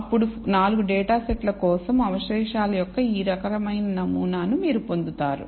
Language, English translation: Telugu, Then you will get this kind of pattern of the residuals for the 4 data sets